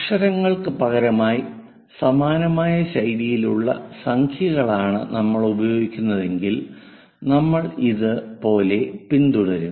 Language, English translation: Malayalam, Instead of letters if we are using numbers similar kind of style we will follow